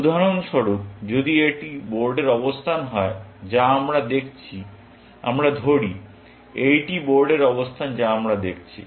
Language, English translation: Bengali, For example, if this is the board position that we are looking at; let us say this is the board position we are looking at